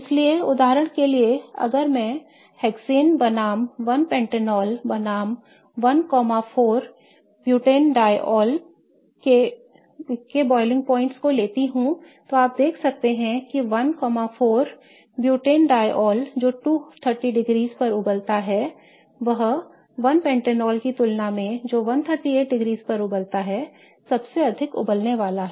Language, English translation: Hindi, So, for example, if I take the boiling points of hexane versus one pentanol versus 1 4 butane diol, you can see that one four butane dial which boils at 230 degrees is going to be the highest boiling as compared to one pentanol which boils at 138 degrees whereas hexane which doesn't have any OH group will boil just as 69 degrees centigrade